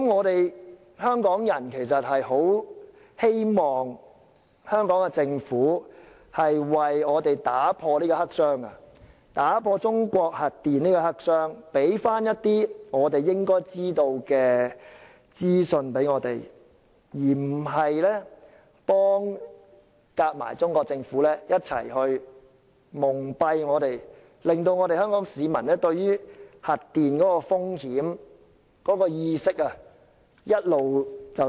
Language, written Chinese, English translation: Cantonese, 香港人很希望香港政府為我們打破中國核電發展這個黑箱，為我們提供一些應得的資訊，而不是與中國政府一起蒙蔽我們，令香港市民對核電風險的意識一直處於低下水平。, I hope that the Hong Kong Government can provide us with the information we should have in order to smash this black box called nuclear power development in China rather than collaborating with the Chinese Government to blindfold Hong Kong people and keep our awareness of nuclear power risks at a low level